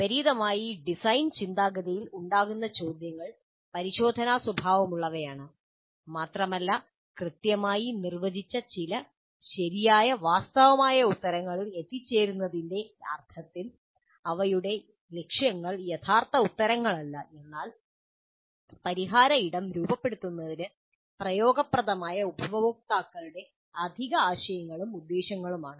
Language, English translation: Malayalam, By contrast, questions that arise during design thinking are exploratory in nature and their objectives are not true answers in the sense of reaching some well defined correct true answers, but additional ideas and intents of customers useful for framing the solution space